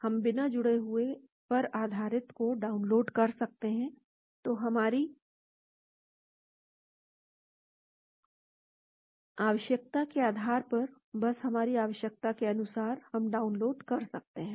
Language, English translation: Hindi, we can download based on unoccupied, so based on our requirement, , just to our requirement, we can download